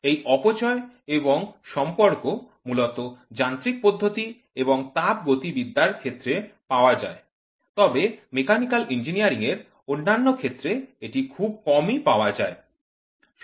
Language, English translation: Bengali, These loss and relationship are mainly available in the areas of mechanisms and thermodynamics while in the other areas of Mechanical Engineering, the availability are rather scarce